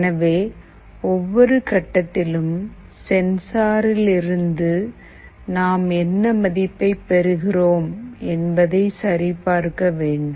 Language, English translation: Tamil, So, at every point in time, we need to check what value we are receiving from that sensor